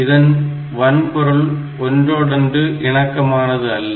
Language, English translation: Tamil, So, it becomes the hardware becomes incompatible